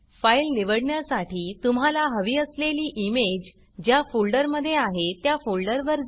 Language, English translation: Marathi, In the file chooser, navigate to the folder that contains your image that you want to use